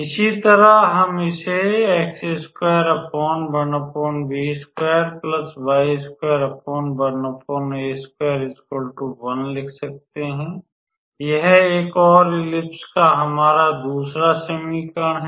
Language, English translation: Hindi, Similarly, we can write this one as so, this is our another equation of an another ellipse